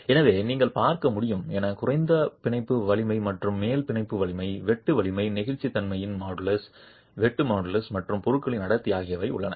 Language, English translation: Tamil, So, as you can see, there is a lower bound strength and an upper bound strength, the shear strength, the modulus of elasticity, the shear model is and the density of the material itself